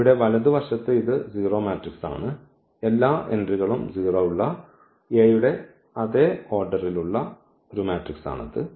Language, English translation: Malayalam, So, here the right hand side this is a 0 matrix so, the same order having all the entries 0